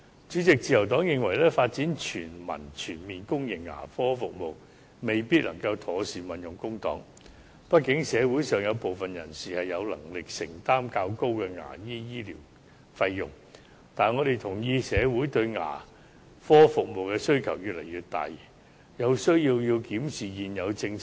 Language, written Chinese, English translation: Cantonese, 主席，自由黨認為，發展全民全面公營牙科服務，未必能夠妥善運用公帑，畢竟社會上有部分人士是有能力承擔較高的牙科醫療費用的，但我們同意社會對牙科服務的需求越來越大，有需要檢視現有政策。, President the Liberal Party thinks that the development of comprehensive public dental services for everybody may not be an effective way of using our public money . After all some people in society have the means to afford higher dental service charges . But we agree that social demands for dental services are rising and there is a need to review the existing policies